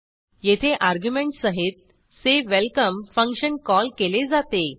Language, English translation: Marathi, Here, the function say welcome is called with arguments